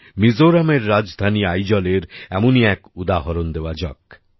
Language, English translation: Bengali, One such example is that of Aizwal, the capital of Mizoram